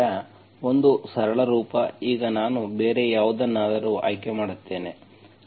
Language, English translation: Kannada, So one simple form, now I will choose some other thing